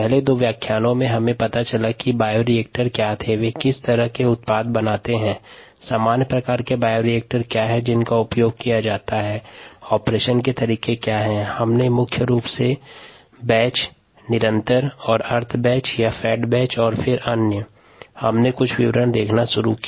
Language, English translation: Hindi, in the first two lectures we got introduced to what bioreactors where, what kind of products they make, what are the common types of bioreactors that i used, what are the modes of operation predominantly batch, continuous and semi batch or fed batch